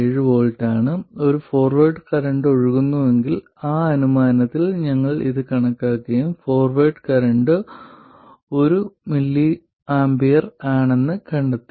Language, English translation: Malayalam, 7 volts if there is a forward current flowing and with that assumption we calculated this and found that the forward current is 1 milamph